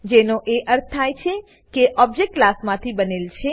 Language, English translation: Gujarati, Which means an object is created from a class